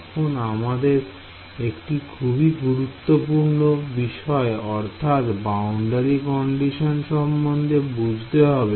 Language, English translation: Bengali, So, now, we come to the very crucial part which is boundary condition right